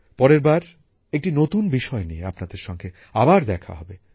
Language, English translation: Bengali, See you again, next time, with new topics